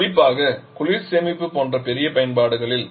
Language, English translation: Tamil, Particularly in big applications like cold storage section